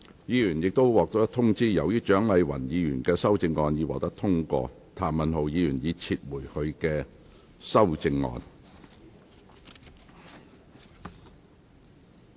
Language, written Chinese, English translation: Cantonese, 議員已獲通知，由於蔣麗芸議員的修正案獲得通過，譚文豪議員已撤回他的修正案。, Members have already been informed that as Dr CHIANG Lai - wans amendment has been passed Mr Jeremy TAM has withdrawn his amendment